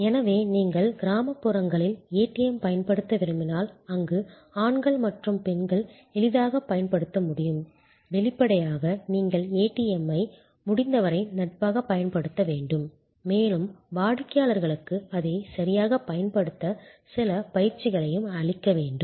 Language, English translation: Tamil, So, if you want to deploy ATM in rural areas, where men, women can easily use then; obviously, you have to make the ATM use as friendly as possible and also provides certain training to the customers to use it properly